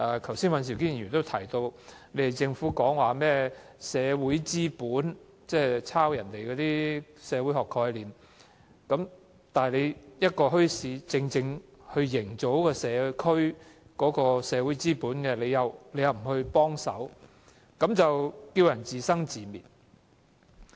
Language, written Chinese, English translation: Cantonese, 剛才尹兆堅議員也提到，政府提及甚麼社會資本，即抄襲別人的社會學概念，而墟市正可營造社區的社會資本，但政府卻不幫忙，讓市民自生自滅。, Just now Mr Andrew WAN also mentioned the social capital that the Government put forward by copying a sociological concept of others . Bazaars can create social capital for the community but the Government does not offer any help and it just let the public fend for themselves